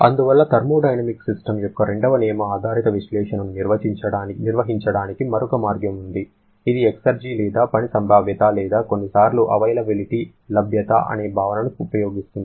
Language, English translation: Telugu, And therefore, there is another way of performing the second law based analysis of thermodynamic system which is using the concept of exergy or work potential or sometimes called availability